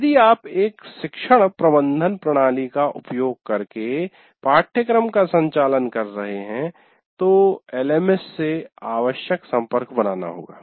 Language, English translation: Hindi, And on top of that, if you are operating using a learning management system and the necessary connectivity to the LMS has to be made